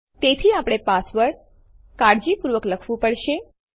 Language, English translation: Gujarati, So we have to type the password carefully